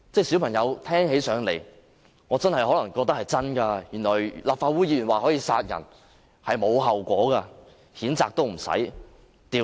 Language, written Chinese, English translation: Cantonese, 小朋友聽起來，可能覺得立法會議員說可以殺人是沒有後果的，他不會遭譴責，也不用調查。, Children may think that it is fine to kill because the Legislative Council Member who said so was not punished censured or subject to any investigation